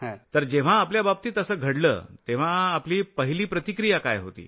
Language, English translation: Marathi, So, when it happened to you, what was your immediate response